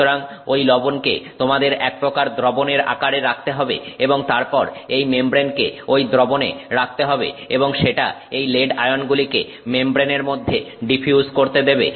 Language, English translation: Bengali, So, that salt has to, you have to put it in some solution form and then this membrane has to be put into that solution and that allows this lead ions to start diffusing into the membrane